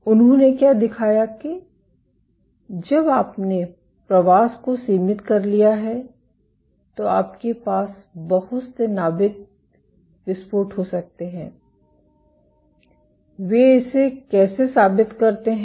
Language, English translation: Hindi, What they showed that when you have confined migration you can have lot of nuclear rupture events, how do they prove it